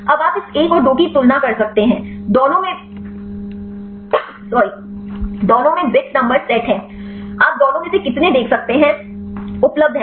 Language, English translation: Hindi, Now you can see comparing this 1 and 2; number of bits set in both, how many you can see is available in both